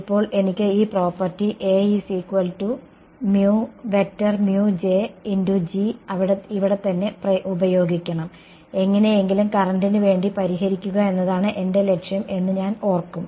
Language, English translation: Malayalam, Now I have to use this property over here right, I will remember what my objective is to somehow solve for the current right